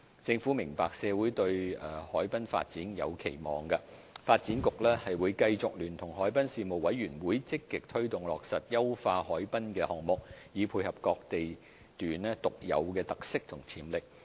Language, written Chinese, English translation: Cantonese, 政府明白社會對海濱發展有期望，發展局會繼續聯同海濱事務委員會積極推動落實優化海濱的項目，以配合各地段獨有的特色和潛力。, The Government understands that society has expectations of developing the harbourfront . Thus the Development Bureau will collaborate with the Harbourfront Commission to actively implement programmes of enhancing the harbourfront to give full play to the characteristics and potentials of different lots of the area